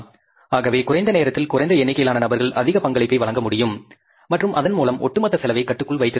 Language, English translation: Tamil, So lesser number of people in the lesser amount of time, they can contribute much and the overall cost can be kept under control